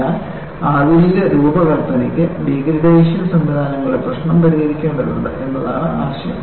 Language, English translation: Malayalam, So, the idea is, the modern design will have to address the issue of degradation mechanisms